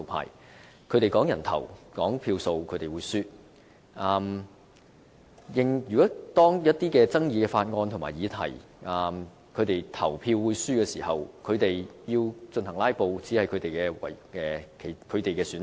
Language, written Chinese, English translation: Cantonese, 如果論人頭、計票數，他們會輸，他們知道就一些具爭議的法案和議題表決會輸的時候，"拉布"是他們唯一的選擇。, In terms of the number of headcounts or votes they are set to lose out in the voting . When they face some controversial bills or topics the pan - democrats can only resort to filibustering because they understand they will definitely lose out in the voting